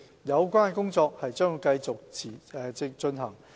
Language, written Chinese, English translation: Cantonese, 有關工作將會持續進行。, HKTB will continue with its work in this regard